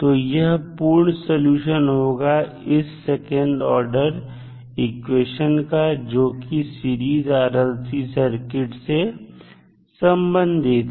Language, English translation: Hindi, So, this would be the total solution of the equation that is the second order equation related to our series RLC circuit